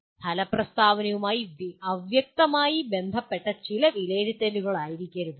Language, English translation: Malayalam, It cannot be some assessment vaguely related to the outcome statement